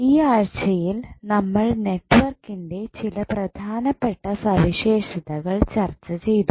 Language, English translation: Malayalam, So, in this week we discussed few important properties of the network